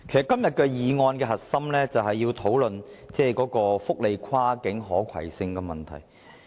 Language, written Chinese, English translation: Cantonese, 今天議案的核心，其實是要探討福利安排的跨境可攜性問題。, The core issue of the motion moved today is cross - boundary portability of various welfare arrangements